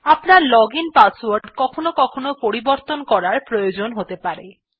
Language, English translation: Bengali, Sometimes your login password may get compromised and/or you may want to change it